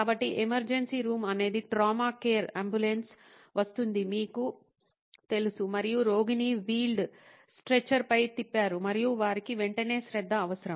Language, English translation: Telugu, So, emergency room is the trauma care, you know the ambulance comes in and the patient is wheeled in on a stretcher and they need immediate attention